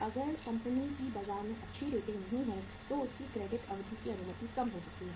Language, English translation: Hindi, If the company is not having a very good rating in the market so the credit period allowed may be less